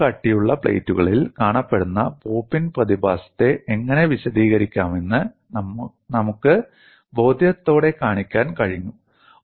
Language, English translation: Malayalam, We have been able to show convincingly, how to explain the phenomenon of pop in that is observed in intermediate thick plates